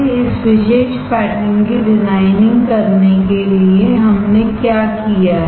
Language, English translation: Hindi, For designing this particular pattern what we have done